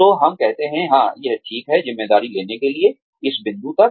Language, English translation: Hindi, So, we say, yeah, it is okay, to take on the responsibility, up to this point